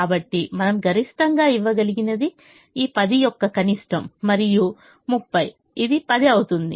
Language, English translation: Telugu, so the maximum that we can give is the minimum of this ten and thirty, which happens to be ten